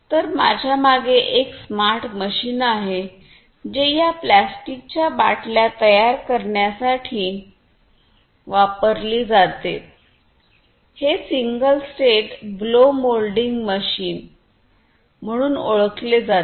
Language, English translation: Marathi, So, behind me is a machine a smart machine which is used for making these plastic bottles, it is known as the single state blow moulding machine